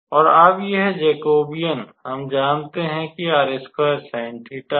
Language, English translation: Hindi, So, now we can calculate this Jacobian here